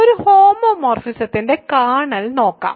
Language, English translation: Malayalam, So, let us look at kernel of a homomorphism